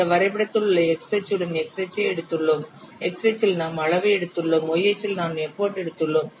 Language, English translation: Tamil, You can see that in this graph we have taken along x axis we have taken size and along y axis we have taken no effort